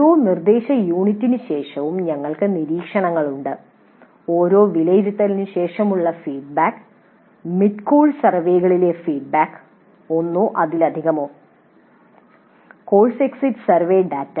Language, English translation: Malayalam, So we have observations after every instruction unit, then feedback after every assessment, then feedback during mid course surveys one or more, then the course exit survey data